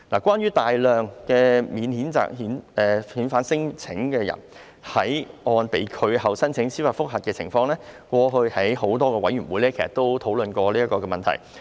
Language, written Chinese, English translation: Cantonese, 關於大量免遣返聲請人士在個案被拒後申請司法覆核的情況，過去在多個委員會已討論過。, Regarding the surge in judicial review caseloads stemming from unsuccessful non - refoulement claims several committees have discussed this phenomenon